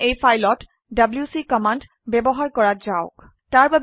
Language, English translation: Assamese, Now let us use the wc command on this file